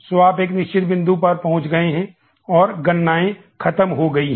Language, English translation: Hindi, So, you have reached a fixed point and computations, are over